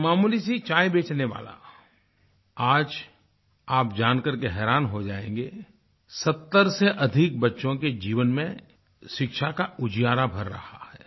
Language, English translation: Hindi, A meagre tea vendor; today you will be surprised to know that the lives of more than 70 children are being illuminated through education due to his efforts